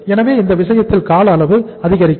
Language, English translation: Tamil, So in that case this time period will increase